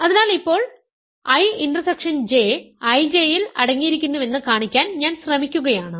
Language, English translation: Malayalam, So, now I am trying to show that I intersection J is contained in I J